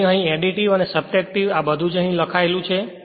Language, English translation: Gujarati, So, that is it is written additive and subtractive everything is written here